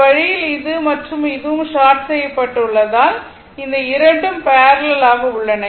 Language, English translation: Tamil, And this way, as this is short and this is short this 2 are in parallel